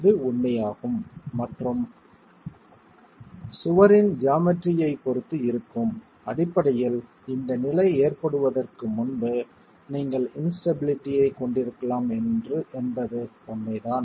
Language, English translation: Tamil, You might, it's true that depending on the geometry of the wall, you can also have instability before this condition is actually occurring in the wall